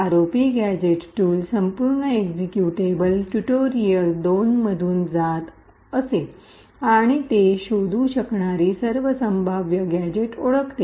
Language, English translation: Marathi, The ROP gadget tool would do was that it would pass through the entire executable, tutorial 2 and identify all possible gadgets that it can find